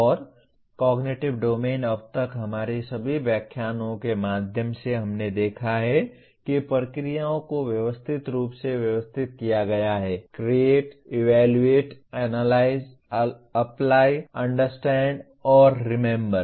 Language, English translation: Hindi, And Cognitive Domain till now through all our lectures we have seen has processes been hierarchically arranged, Create, Evaluate, Analyze, Apply, Understand, and Remember